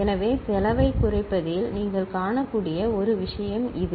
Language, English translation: Tamil, So, this is one thing that you can see on reduction of cost